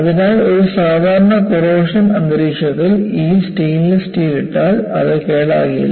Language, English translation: Malayalam, So, in a normal corrosive environment, if you put a stainless steel, it will not get corroded but what has happen in this case